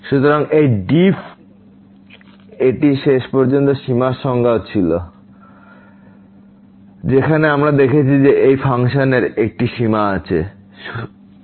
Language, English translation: Bengali, So, this is the def this was eventually the definition of the limit as well, where we have seen that this function has a limit l